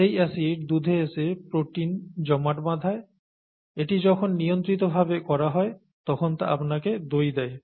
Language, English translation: Bengali, And that acid gets out into milk and causes protein aggregation and that when done in a controlled fashion gives you milk